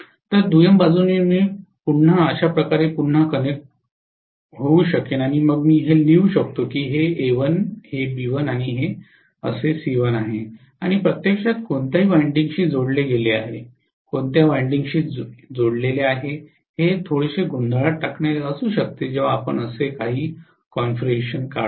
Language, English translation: Marathi, So in the secondary side I can simply connect again somewhat like this, and then I may write this that A dash, this as B dash and this as C dash and what is actually coupled with which winding, which winding is coupled with which winding that can be a little confusing especially when we draw a configuration somewhat like this